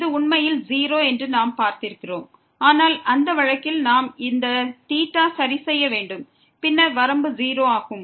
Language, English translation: Tamil, As we have seen that this is indeed 0, but in that case we have to fix this theta and then the limit is 0